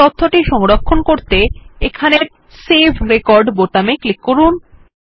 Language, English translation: Bengali, To save the entries, click on the Save Record button